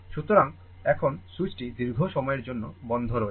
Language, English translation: Bengali, So now, switch is closed for long time